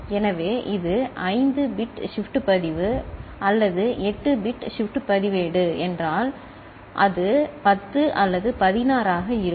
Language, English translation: Tamil, So, if it is 5 bit shift register or 8 bit shift register, it will be 10 or 16